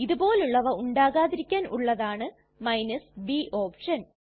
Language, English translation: Malayalam, To prevent anything like this to occur, we have the b option